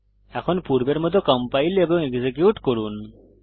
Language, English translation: Bengali, Now compile as before, execute as before